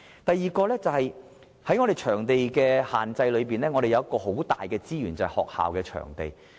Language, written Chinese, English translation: Cantonese, 第二，在場地限制方面，我們有一個很大的資源，就是學校場地。, The second point I wish to raise is about the limited supply of venues . We can tap an enormous source of sport venues from school premises